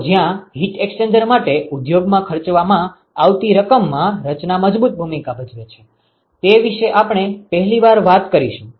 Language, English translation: Gujarati, So, this is the first time we talk about where the design plays a strong role in the amount of money that is spent in in the industry for heat exchanger